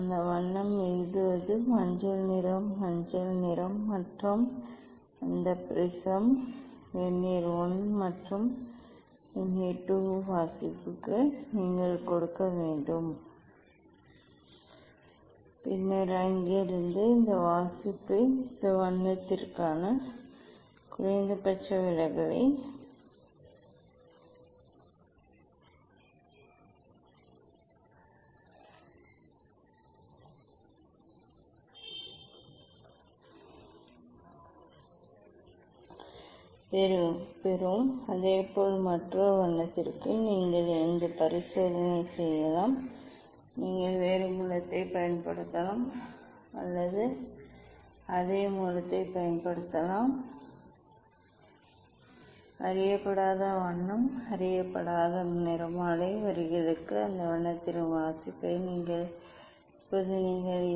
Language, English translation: Tamil, that colour is to write it is yellow colour yellowish colour and for that prism Vernier I and Vernier II reading you should take and then this reading from there you will get the minimum deviation for this colour Similarly, for another colour also you can do this experiment you can use different source or you can use the same source ok, take the reading for that colour here for unknown colour unknown spectral lines you find out the deviation not minimum deviation